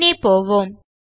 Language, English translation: Tamil, Lets go back